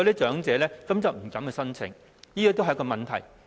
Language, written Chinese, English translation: Cantonese, 長者因而不敢申請，這便是問題所在。, The elderly are therefore deterred from making an application and this is where the problem lies